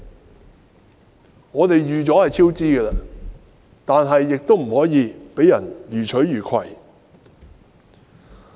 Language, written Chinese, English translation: Cantonese, 雖然我們已有超支的準備，卻不可以讓人予取予攜。, Although we have prepared for cost overruns we should not allow other people to take advantage of the project so blatantly